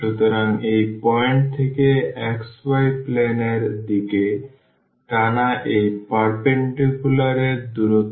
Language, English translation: Bengali, So, the distance from this point to this perpendicular drawn to the xy plane